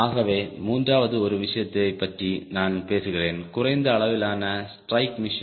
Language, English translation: Tamil, so third one i will talk about is low level strike mission, the low level strike